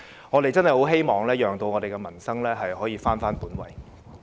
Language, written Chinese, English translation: Cantonese, 我們真的希望可以讓民生返回本位。, We truly hope that livelihood issues can be given their due importance